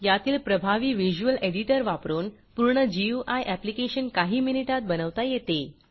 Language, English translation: Marathi, We will be making use of this powerful visual editor to build a complete GUI application in just a few minutes